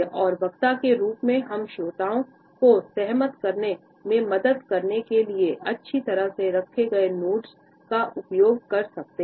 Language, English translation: Hindi, And as the speaker we can use well placed nods to help influence the listeners to agree with us